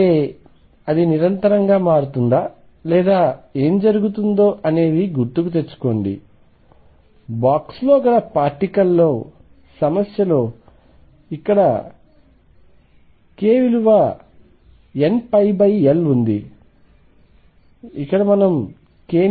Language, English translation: Telugu, That means, is it continuous does it change discontinuously or what happens recall that for particle in a box problem k was one pi over L here how do we fix k